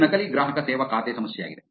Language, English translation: Kannada, These is fake customer service account problem